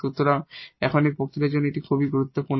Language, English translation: Bengali, So, this is very important for this lecture now